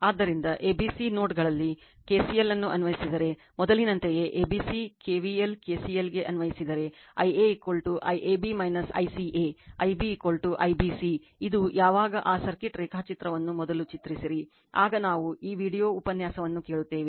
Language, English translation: Kannada, Therefore, applying KCL at nodes ABC, similar same as before, if you apply at node ABC KVL your KCL you will get I a is equal to I AB minus I CA, I b is equal to I BC it is just when you do this one just draw that circuit diagram first then, we will just listen to this video lecture right